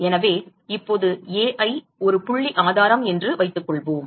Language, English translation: Tamil, So, now assume that Ai is a point source